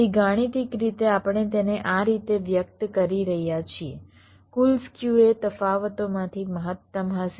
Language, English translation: Gujarati, so mathematically we are expressing it like this: the total skew will be maximum of the differences